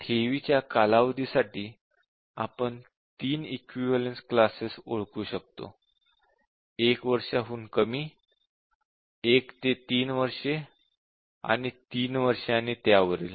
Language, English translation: Marathi, And for the period of deposit we can identify three equivalence classes which are up to 1 year, 1 to 3 year and 3 year and above